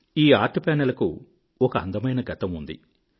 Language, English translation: Telugu, These Art Panels have a beautiful past